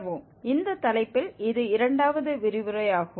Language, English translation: Tamil, This is second lecture on this topic